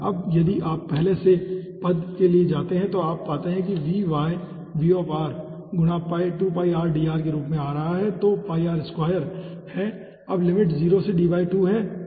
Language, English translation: Hindi, now if you, if you come over here for the first term, you see this is coming as vy vr into 2 pi r dr comes out to be pi r square and the limit is 0 to d by 2